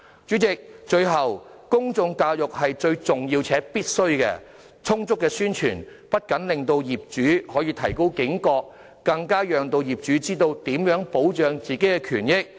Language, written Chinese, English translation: Cantonese, 主席，最後，公眾教育是重要且必須的，充足的宣傳不僅可以令業主提高警覺，更可讓業主知道如何保障自己的權益。, Lastly President public education is important and essential . Adequate promotion will not only raise the awareness of property owners but also enable them to understand how best to safeguard their own interests